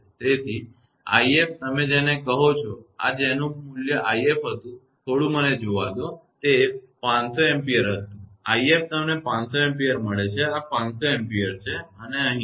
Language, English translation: Gujarati, So, i f your what you call; this whatever value of the i f was there; just let me see, it was 500 ampere; i f you got 500 ampere; this is 500 ampere and here